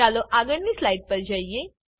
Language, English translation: Gujarati, Let us go to the next slide